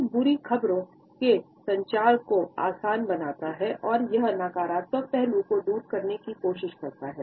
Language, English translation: Hindi, It eases off communication of bad news and it tries to take the edge off of a negative aspect